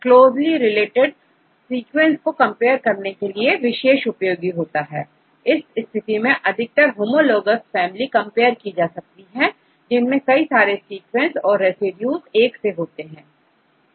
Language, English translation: Hindi, So, it is useful if you compare closely related sequences, in this case most of them are from homologous families and several sequences, residues are the same